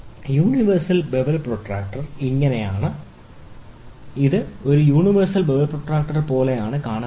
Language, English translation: Malayalam, Universal bevel protractor, it is this is how it looks like a universal bevel protractor